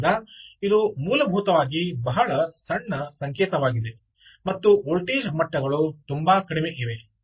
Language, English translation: Kannada, so this is ah, essentially a very small signal and the voltage levels are very low